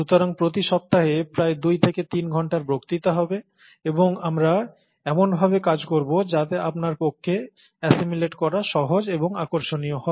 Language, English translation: Bengali, So that comes to about two to three hours of lectures each week, and we will work it out such that it is easy for you to assimilate, it’ll be interesting for you to assimilate and so on